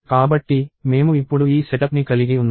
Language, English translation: Telugu, So, we have this setup now